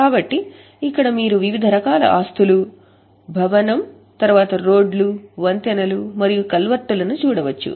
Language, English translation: Telugu, So, here you can see the types, building, then roads, bridges and culverts